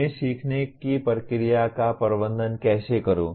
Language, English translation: Hindi, How do I manage the learning process